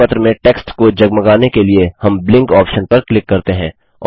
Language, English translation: Hindi, In order to blink the text in the newsletter, we click on the Blink option And finally click on the OK button